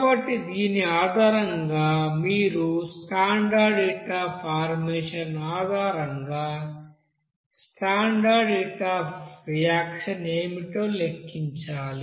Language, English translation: Telugu, So based on this you know standard heat of combustion you have to calculate what will be the standard heat of reaction